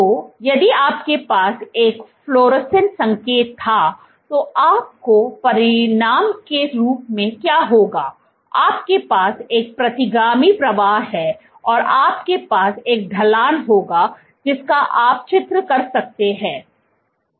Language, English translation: Hindi, So, if you had a fluorescent signal then, what you would have as a consequence, you have a retrograde flow is you will have a slope which you can draw